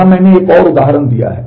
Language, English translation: Hindi, Here I have given another example